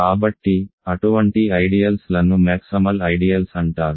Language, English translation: Telugu, So, such ideals are called maximal ideals